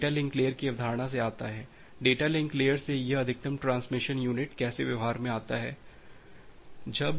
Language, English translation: Hindi, So, that comes from the concept of data link layer, how this maximum transmission unit from data link layer comes into practice